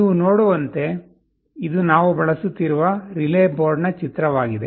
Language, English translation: Kannada, As you can see this is a picture of the relay board that we shall be using